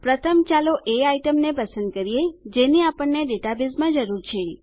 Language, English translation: Gujarati, First, lets select the items which we require in the database